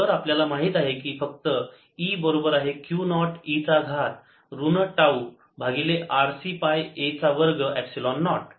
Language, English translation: Marathi, so we know just e equals to q naught e to the power minus tau y r c pi a square epsilon naught